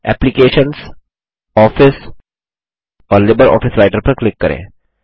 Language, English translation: Hindi, Click on Applications, Office and LibreOffice Writer